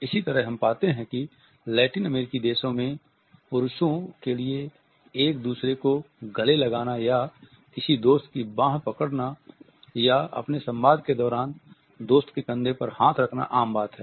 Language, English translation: Hindi, Similarly, we find that in Latin American countries it is common for men to hug each other or grab the arm of a friend or place their hand on the shoulder of a friend during their communication